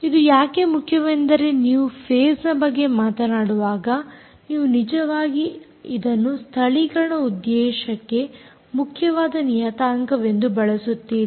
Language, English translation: Kannada, because when you talk about phase, you actually use this as an important parameter for the purposes of localization